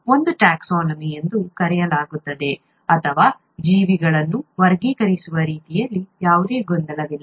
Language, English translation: Kannada, This is the taxonomy, as it is called, or the way organisms are classified so that there is no confusion